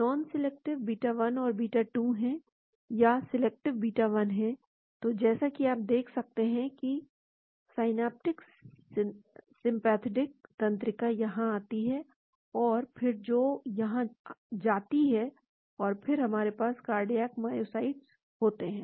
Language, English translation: Hindi, There are non selective beta 1 and beta 2 or there is selective beta 1 so, as you can see in synaptic sympathetic nerve comes in here and then which goes here and then we have the cardiac myocytes